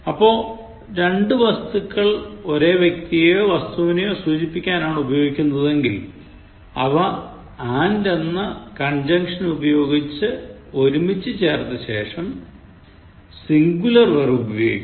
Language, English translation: Malayalam, So, if two subjects refer to the same person or thing, and are joined by an conjunction and, then the verb used is singular